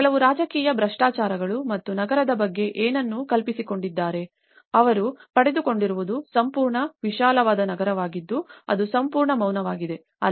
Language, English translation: Kannada, And also, some political corruptions and what they have envisioned about the city and what they have got is a complete vast scale of a city which is utterly silence